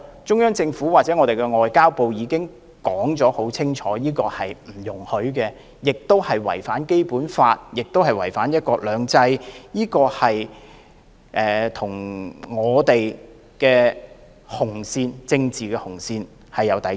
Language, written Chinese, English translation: Cantonese, 中央政府或外交部已經明言不容此舉，因為這是違反《基本法》和"一國兩制"的事，與我們的政治紅線有抵觸。, The Central Government or the Ministry of Foreign Affairs had made it clear that this activity should not be held as it had not only violated the Basic Law and the principle of one country two systems but also crossed the political red line